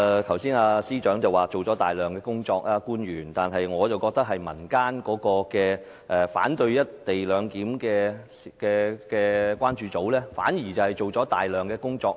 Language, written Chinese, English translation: Cantonese, 剛才司長說官員做了大量工作，但我卻認為民間反對"一地兩檢"的關注組做了大量工作。, Just now the Chief Secretary said that the officials have done a lot yet in my view the Co - location Concern Group a civil body has done a lot